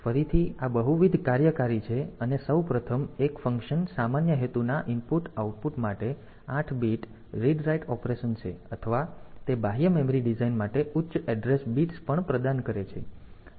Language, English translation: Gujarati, So, again this is multi functional first of all; one function is 8 bit read write operation for general purpose input output or the it also provides the higher address bits for the external memory design